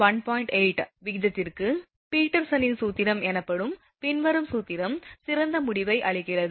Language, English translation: Tamil, 8 this ratio, the following formula known as Peterson’s formula gives better result